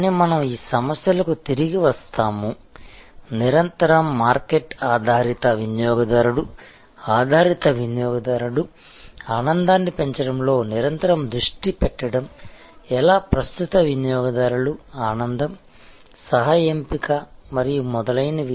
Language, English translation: Telugu, But, we will come back to these issues about, how to remain constantly market oriented, customer oriented, how to remain constantly focused on enhancing the customer delight, current customers delight, co opting them and so on